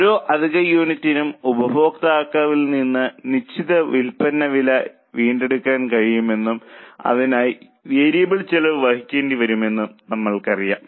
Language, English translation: Malayalam, We know that for every extra unit we are able to recover certain sale price from the customer and we have to incur variable costs for it